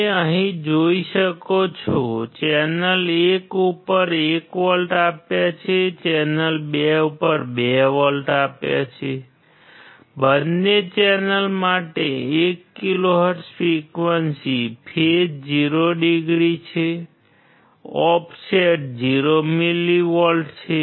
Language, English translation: Gujarati, You can see here 1 volts applied to channel 1, 2 volts applied to channel 2, 1 kHz frequency for both the channel, phase is 0 degree, offset is 0 millivolt